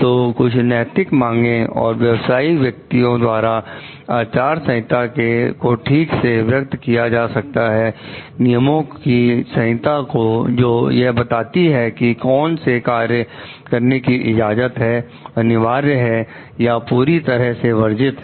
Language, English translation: Hindi, So, some moral demands and professionals are adequately expressible in terms of codes of conduct, rules of conduct that specify what acts are permissible, obligatory or prohibited super